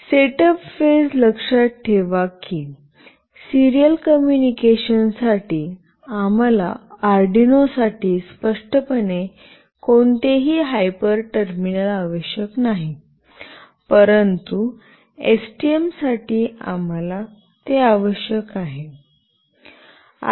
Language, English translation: Marathi, In the setup phase recall that for serial communication, we do not require explicitly any hyper terminal for Arduino, but for STM we require that